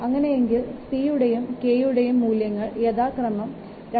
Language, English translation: Malayalam, For the value of C and K are given like this